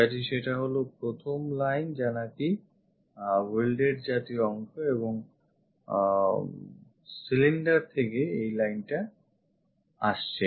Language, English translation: Bengali, So, that one the first line is the welded kind of portion is that and from cylinder this line comes